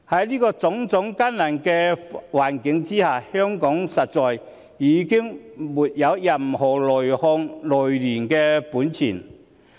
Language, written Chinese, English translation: Cantonese, 在種種艱難的環境下，香港實在已經沒有任何內訌、內亂的本錢。, Under such difficult circumstances Hong Kong indeed cannot afford any infighting or civil unrest